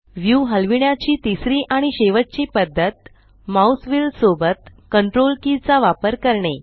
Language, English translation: Marathi, Third and last method of Panning the view, is to use the CTRL key with the mouse wheel